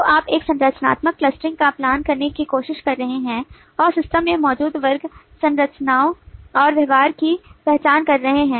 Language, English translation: Hindi, so you are trying to follow a structural clustering and identifying the class structures and behaviours that exist in the system